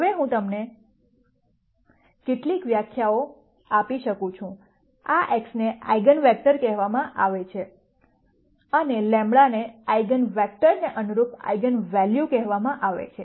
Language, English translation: Gujarati, Now let me give you some definitions, this x are called eigenvectors and lambdas are called the eigenvalues corresponding to those eigenvectors